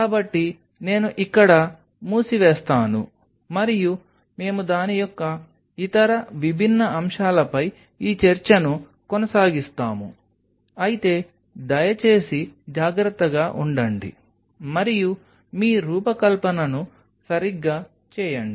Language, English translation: Telugu, So, I will close in here and we will continue this discussion on other different aspects of it, but please be careful and do your designing right